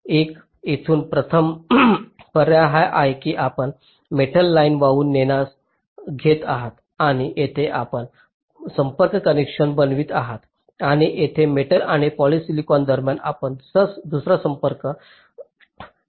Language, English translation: Marathi, so alternative is a: from here you carry a metal line and here you make a contact connection and here between metal and polysilicon you make another contact connection